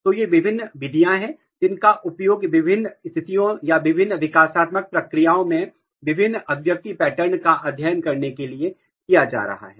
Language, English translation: Hindi, So, these are the different methods which is which are being used to study the differential expression pattern in different conditions or different developmental processes